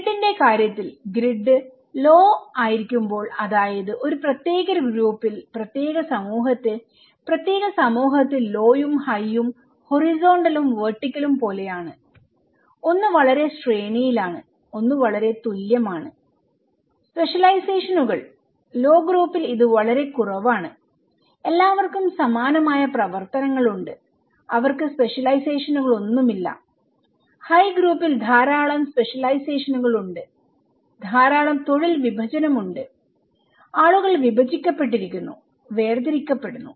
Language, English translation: Malayalam, In case of grid, when the grid is low that means in a particular group, particular community, particular society, the low and high is like horizontal and vertical, one is very hierarchical one is very equal okay, specializations; in low group it’s very little, people are all have similar kind of activities, they don’t have any specializations, in high group there is lot of specializations, lot of division of labour, people are divided, segregated